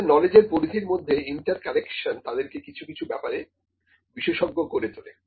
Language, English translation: Bengali, So, that interconnection of the knowledge spheres or fields makes them expert in something, ok